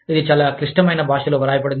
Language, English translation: Telugu, It is written in, very complicated language